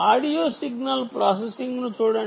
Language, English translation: Telugu, just look at audio signal processing